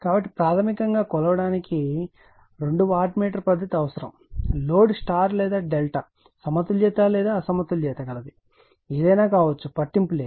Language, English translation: Telugu, So, basically you need two wattmeter method for measuring the, load maybe star or delta Balanced or , Unbalanced does not matter